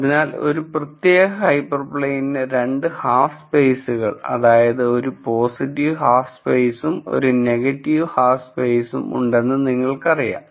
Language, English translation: Malayalam, So, you know that for a particular hyper plane you have 2 half spaces, a positive half space and a negative half space